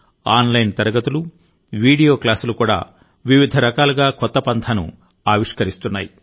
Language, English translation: Telugu, Online classes, video classes are being innovated in different ways